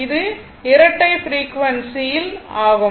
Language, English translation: Tamil, It is a double frequency